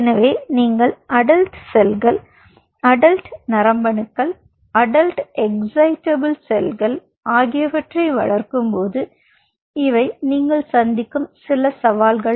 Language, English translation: Tamil, so when you grow adult cells, adult neurons, adult excitable cells, these are some of the challenges, what you come across